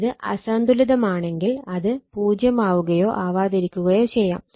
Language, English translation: Malayalam, If it is unbalanced may be 0, may not be 0 right